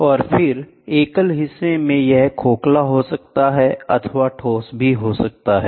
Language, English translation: Hindi, And then, in a single member it can be a hollow, it can be solid, it can be hollow